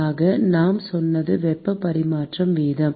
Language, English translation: Tamil, So, what we said is the heat transfer rate